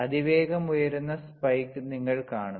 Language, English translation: Malayalam, You see fast rising spike